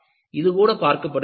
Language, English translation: Tamil, Even this is looked at